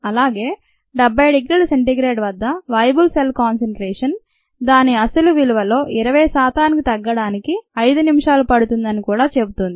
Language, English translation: Telugu, at seventy degree c it takes five minutes for the viable cell concentration to reduce to twenty percent of its original value